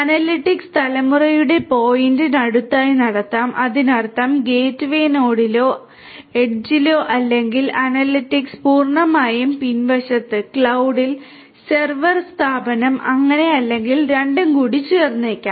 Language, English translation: Malayalam, The analytics could be performed close to the point of generation; that means, at the gateway node or at the edge or the analytics could be performed completely at the back end, in the cloud, the server, the server firm and so on or it could be a mix of both